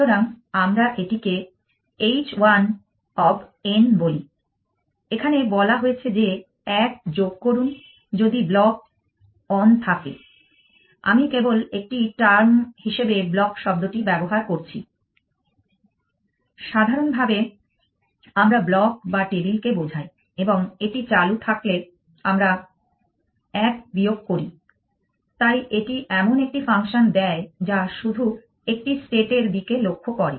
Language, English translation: Bengali, So, let us call this h one of n it says add one if block on i just use a term block, so in general we mean either block or the table and we subtract 1 if it is on, so this gives a such function which only looks at a state